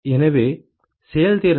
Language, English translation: Tamil, So, efficiency ok